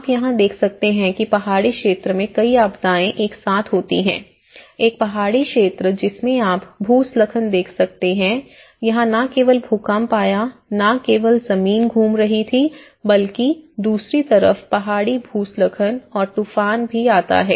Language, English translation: Hindi, And now, you can see here, there is a multiple disaster being a hilly areas, a mountainous areas you can see the landslides along with it not only the earthquakes the ground is not just moving around there is hills landslides on the other side, you have the Hurricanes which is again